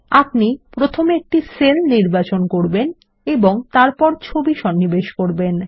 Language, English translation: Bengali, It is a good practice to select a cell and then insert pictures